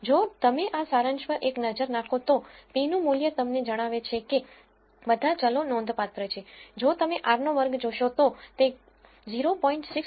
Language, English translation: Gujarati, If you take a look at this summary though the p value tells you that all the variables are significant, if you look at the r squared value it has dropped from 0